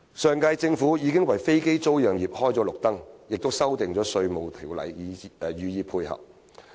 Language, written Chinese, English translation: Cantonese, 上屆政府已為飛機租賃業開綠燈，並修訂《稅務條例》予以配合。, The previous Government already gave the green light for aircraft leasing and amended the Inland Revenue Ordinance to provide facilitation